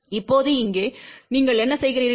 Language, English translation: Tamil, Now, this point here what you do